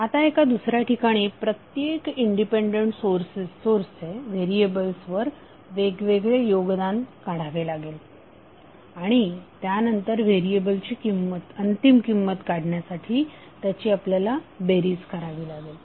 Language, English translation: Marathi, Now in another to determine the contribution of each independent source to the variable separately and then you add them up to get the final variable value